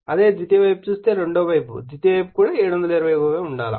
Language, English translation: Telugu, Similarly, for the your secondary side if you look * your second side, the secondary side also has to be 72